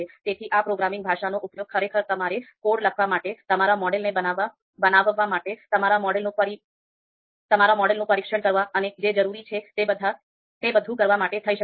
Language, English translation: Gujarati, So this programming this programming language can actually be used to write your own code and you know build your model, test your models and do everything that is required